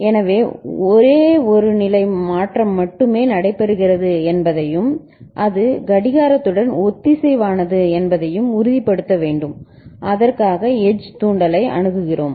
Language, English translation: Tamil, So, we need to ensure that only one state change takes place and that takes place synchronous with the clock and for that we are looking for something called edge triggering